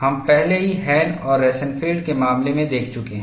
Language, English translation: Hindi, We have already seen in the case of Hahn and Rosenfield